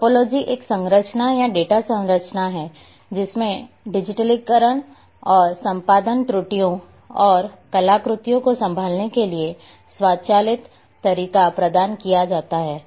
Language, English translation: Hindi, So, topology is a structure or data structures are having advantages; provided an automatic way to handle digitization and editing errors and artifacts